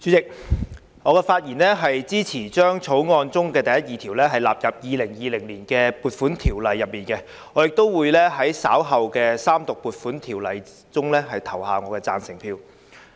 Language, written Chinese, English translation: Cantonese, 主席，我發言支持將第1及2條納入《2020年撥款條例草案》，並會在稍後《條例草案》三讀時投下贊成票。, Chairman I rise to speak in support of clauses 1 and 2 standing part of the Appropriation Bill 2020 the Bill and will vote for it in its Third Reading of the Bill